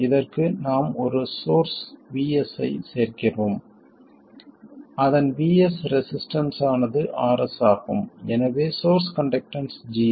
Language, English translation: Tamil, And to this we add a source VS and its source resistance is RS or source conductance is G S